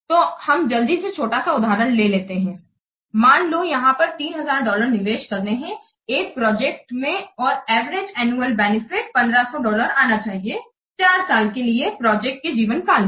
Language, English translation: Hindi, Suppose that dollar 3,000 has to be invested in a project and the average annual benefit is expected to be $1,500 for a four years life of the project